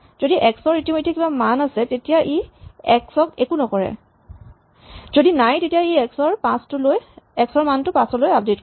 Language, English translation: Assamese, If x already has a value this will do nothing to x, if x does not have a value then it will update the value of x to 5